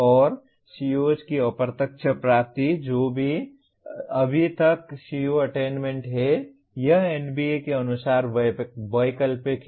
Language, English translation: Hindi, And indirect attainment of the COs which is as far as CO attainment is concerned it is optional as per NBA